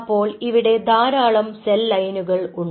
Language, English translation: Malayalam, so there are several cell lines